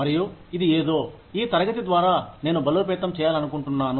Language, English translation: Telugu, And, this is something, that I would like to reinforce, through this class